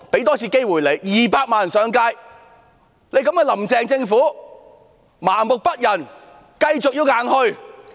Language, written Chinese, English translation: Cantonese, 當天有200萬人上街，但"林鄭"政府仍麻木不仁，繼續硬推。, That day saw a turnout of 2 million people taking to the streets . Yet the Carrie LAM Administration remained apathetic and continued to push it through unrelentingly